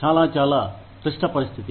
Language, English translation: Telugu, Very, very, difficult situation